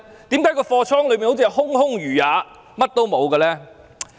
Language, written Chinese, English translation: Cantonese, 為何倉庫內好像空空如也，甚麼也沒有？, Why does the warehouse seem to be empty without anything inside?